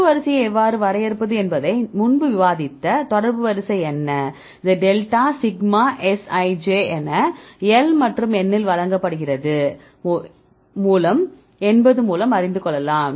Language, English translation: Tamil, So, what is the contact order we discussed earlier how to define the contact order; this is given as delta sigma Sij by L and n; what is delta Sij